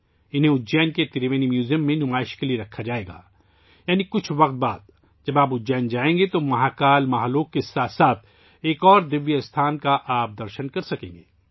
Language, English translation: Urdu, These will be displayed in Ujjain's Triveni Museum… after some time, when you visit Ujjain; you will be able to see another divine site along with Mahakal Mahalok